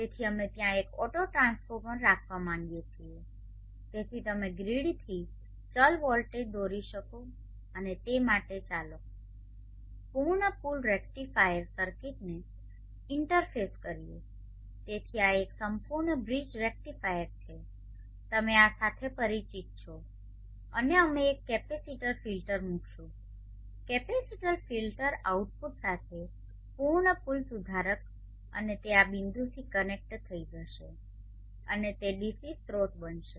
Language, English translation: Gujarati, So let us draw transformer it is not a transformer it is an autotransformer so we would like to have an auto transformer there so that you can draw variable voltage from the grid and do that later the interface full bridge rectifier circuit so this is a full bridge rectifier you are familiar with this and we will place a capacitor filter full bridge rectifier with capacitor filter output and this will get connected to this point and that will become the DC source now you can see the portion of the system from here